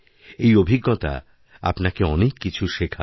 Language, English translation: Bengali, This experience will teach you a lot